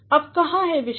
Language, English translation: Hindi, Now, where is the subject